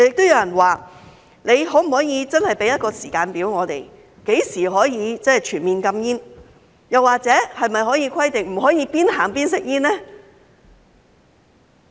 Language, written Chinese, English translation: Cantonese, 又有人表示，政府可否真的提供一個時間表，訂明何時可以全面禁煙，又或可否規定不准邊走邊吸煙呢？, Some people have also asked whether the Government can provide a timetable specifying when smoking will be completely banned or whether it can prohibit people from smoking while walking